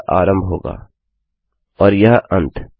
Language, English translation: Hindi, So this will be the start and this will be our end